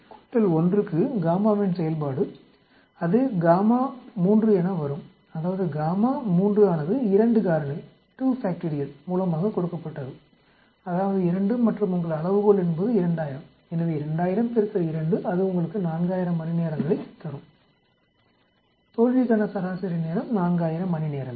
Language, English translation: Tamil, 5 plus 1 that will become gamma function of 3 and gamma function of 3 is given by 2 factorial that is 2 and your scale is 2000, so 2000 into 2 that will give you 4000 hours, the mean time to failure is 4000 hours